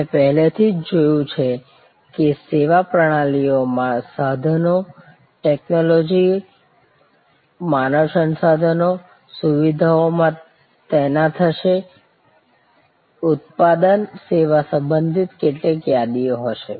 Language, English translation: Gujarati, So, we have already seen before that service systems will have equipment, technology, human resources, deployed in facilities, there will be some inventories related to product service